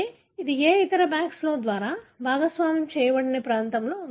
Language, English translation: Telugu, That means it is present in a region that are not shared by any other BACS